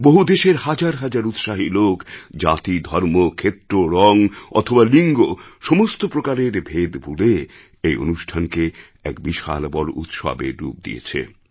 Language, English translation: Bengali, Zealous citizens of hundreds of lands overlooked divisions of caste, religion, region, colour and gender to transform this occasion into a massive festival